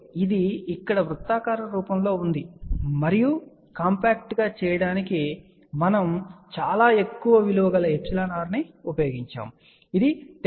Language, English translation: Telugu, So, this is here circular form and to make it compact, we had used a very high value of epsilon r which is about 10